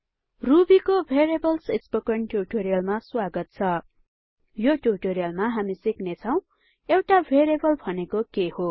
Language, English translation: Nepali, Welcome to the Spoken Tutorial on Variables in Ruby In this tutorial we will learn What is a variable